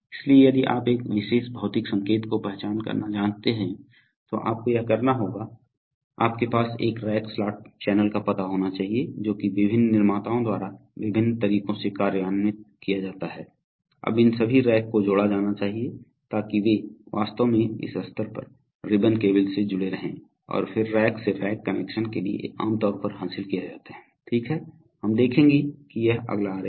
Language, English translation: Hindi, So if you want to identify a particular physical signal, you have to, this is, you have to have a rack slot channel addressing, which is implemented in various ways by various manufacturers, now all these racks must be connected, so these, they are actually connected at this level by ribbon cables and then from rack to Rack connection is generally achieved, okay, we will see this is the next diagram